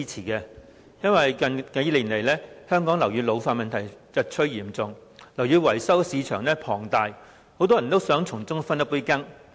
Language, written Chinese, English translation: Cantonese, 由於香港樓宇老化問題近年日趨嚴重，樓宇維修市場龐大，很多人都想從中分一杯羹。, Since the problem of ageing buildings in Hong Kong is worsening and the building maintenance market is huge many people would like to get a slice of the cake